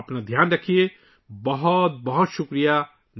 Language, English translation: Urdu, Take care of yourself, thank you very much